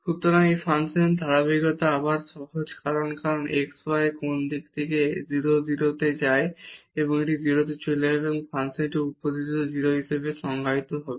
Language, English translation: Bengali, So, the continuity of this function is again simple because when x y go goes to 0 0 from any direction this will go to 0 and the function is also defined as 0 at the origin